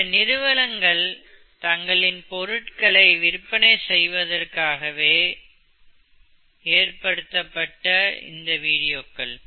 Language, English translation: Tamil, Some of these very nice videos have been made by companies to sell their products